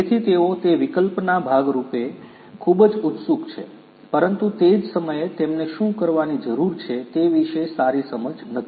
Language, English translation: Gujarati, So, they are very keen on that option part, but they at the same time they do not have good understanding about what needs to be done